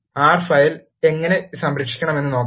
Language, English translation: Malayalam, Let us see, how to save the R file